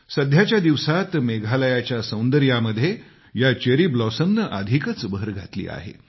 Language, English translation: Marathi, These cherry blossoms have further enhanced the beauty of Meghalaya